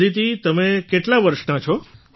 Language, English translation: Gujarati, Aditi how old are you